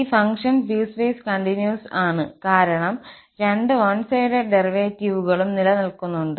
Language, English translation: Malayalam, This function is piecewise continuous because both, one sided derivatives exist